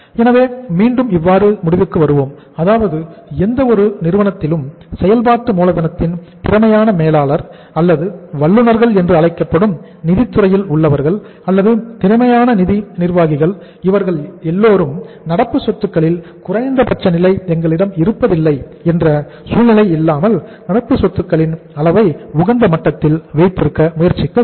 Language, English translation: Tamil, So again we conclude here that in any firm to be the efficient say manager of the working capital or the finance department in any firm the people in the finance department to call them as the experts or the efficient managers of finance they should try to keep the level of current assets at the optimum level where there is no situation like that we do not have the minimum level of current assets